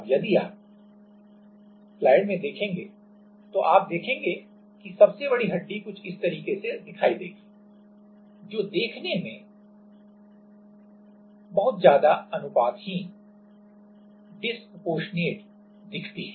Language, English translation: Hindi, Now, if you see then you will see that the largest bone will appear like this which looks like very much disproportionate